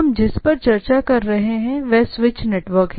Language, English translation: Hindi, So, what we are discussing about is a switch network